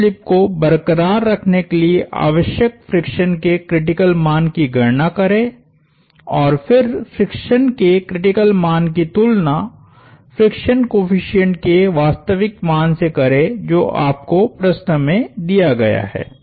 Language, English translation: Hindi, Calculate the critical value of friction needed to sustain no slip, and then compare the critical value of friction to the actual value of friction coefficient that you are given in the problem